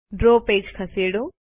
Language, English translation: Gujarati, Move to the draw page